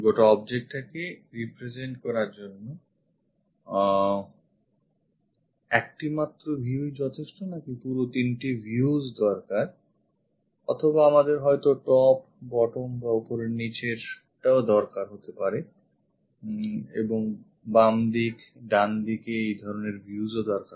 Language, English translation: Bengali, Whether just one view is good enough to represent that entire object or all the three views required or perhaps we require top bottom and also left side right side this kind of views are required